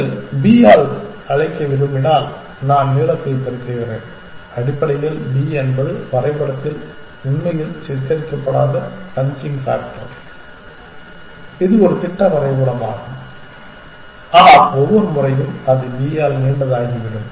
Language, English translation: Tamil, I am multiplying the length if you want to call it by b essentially where b is the bunching factor which is not really depicted in the diagram this is just kind of a schematic diagram, but every time it is going becoming longer by b